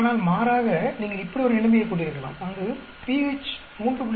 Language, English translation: Tamil, But on the contrary you could have situation like this where at pH is equal to 3